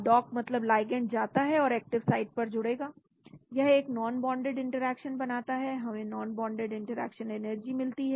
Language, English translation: Hindi, dock means the ligand goes and binds to the active site, it forms a non bonded interaction, we have the non bonded interaction energy